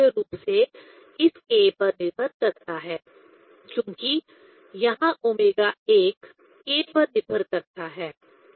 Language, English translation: Hindi, That depends mainly on this k; because here omega 1 depends on the k